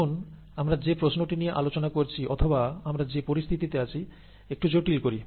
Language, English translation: Bengali, Now let us complicate the question that we are asking or the situation that we are in